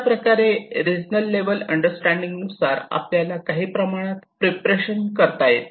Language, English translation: Marathi, So, in that way a regional level understanding will give you some preparation